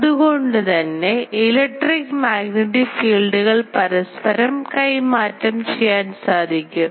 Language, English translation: Malayalam, So, electrical magnetic field can be interchange etcetera